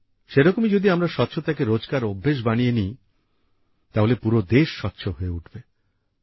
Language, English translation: Bengali, Similarly, if we make cleanliness a daily habit, then the whole country will become clean